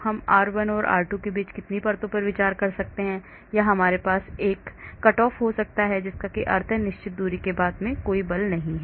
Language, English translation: Hindi, how many layers shall we can consider between R1 and R2, or we can have a cut off that means no forces after certain distance